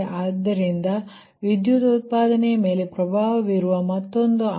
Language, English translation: Kannada, so that is also another factor that influence the power generation